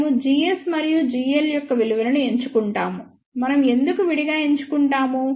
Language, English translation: Telugu, We choose the value of g s and g l, why we separately choose